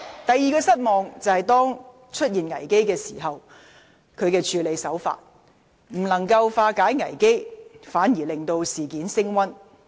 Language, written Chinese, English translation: Cantonese, 第二，她在危機出現時的處理手法，未能化解危機，反而令事件升溫。, Second the way in which she handled the crisis has escalated rather than resolved the controversy